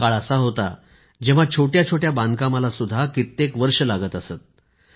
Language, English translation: Marathi, There was a time when it would take years to complete even a minor construction